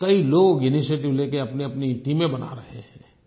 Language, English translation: Hindi, Many people are taking an initiative to form their own teams